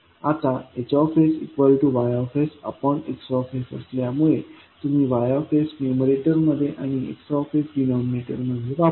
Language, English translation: Marathi, Now, since H s is equal to Y s upon X s, you will put Y s in numerator and the X s in denominator